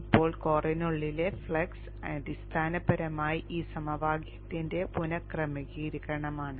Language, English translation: Malayalam, Now the flux within the core is basically rearrangement of this equation